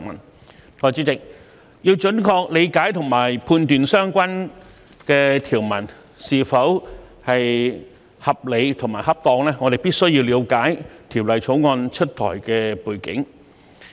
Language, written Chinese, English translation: Cantonese, 代理主席，要準確理解和判斷相關條文是否合理和恰當，我們必須了解《條例草案》出台的背景。, Deputy President in order to have an accurate comprehension and judgment on whether the relevant provisions are reasonable and appropriate we must understand the background against which the Bill was introduced